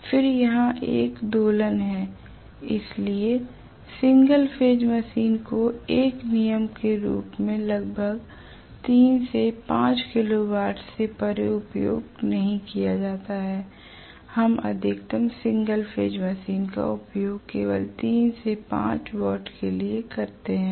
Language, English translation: Hindi, Then there is an oscillation, so single phase machine as a rule are not used beyond about 3 to 5 kilo watt, the maximum we use single phase machine is only for 3 to 5 kilo watt right